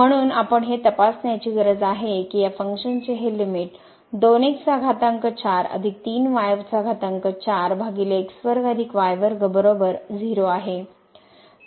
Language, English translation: Marathi, So, we cannot use that fact that this limit as goes to 0 is 0